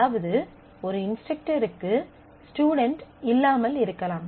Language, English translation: Tamil, And an instructor may have several students